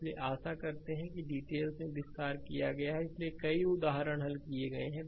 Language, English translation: Hindi, So, hope detail have been made, so many examples have been solved